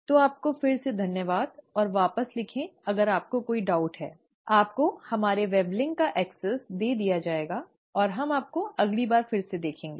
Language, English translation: Hindi, So thank you again, and do write back if you have any doubts, you will be given access to our weblink, and we’ll see you again next time